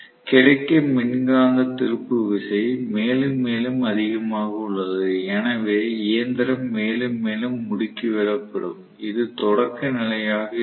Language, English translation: Tamil, So, the electromagnetic torque available is more and more and more, so the machine will accelerate further and further, so this is the starting condition